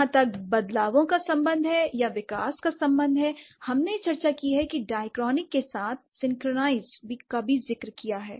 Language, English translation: Hindi, So, as far as changes are concerned or development has been concerned, we have discussed the dichrony as well as synchrony